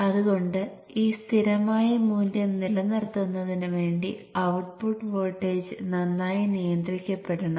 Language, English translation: Malayalam, But the ultimate objective is to see that the output voltage is well regulated